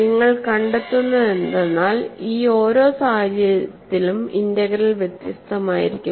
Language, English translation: Malayalam, And what you will find is, in each of these cases the integral will be different